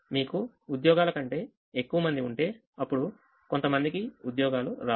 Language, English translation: Telugu, if you have more people than jobs, then some people will not get jobs